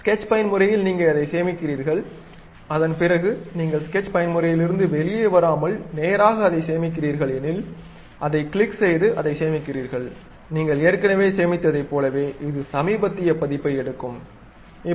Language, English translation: Tamil, In the sketch mode you saved it, after that you straight away without coming out of sketch mode and saving it if you click that into mark, it takes the recent version like you have already saved that is [FL]